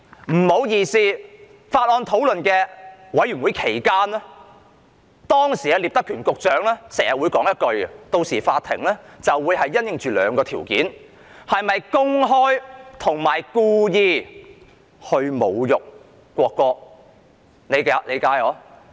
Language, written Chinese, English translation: Cantonese, 不好意思，在法案委員會討論期間，時任聶德權局長經常說："到時法庭會因應兩個條件作出判決，即是否公開和故意侮辱國歌"。, Pardon me during the deliberation of the Bills Committee Mr Patrick NIP―the Secretary back then―always said the court would make its decision based on two conditions ie . whether the person concerned had publicly and intentionally insulted the national anthem